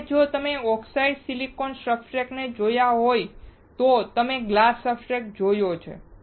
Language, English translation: Gujarati, Now, if you have seen oxidized silicon substrate, if you have seen glass substrate